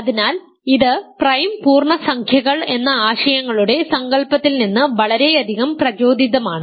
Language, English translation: Malayalam, So, it is very much inspired by the notion of prime integers the notion of prime ideals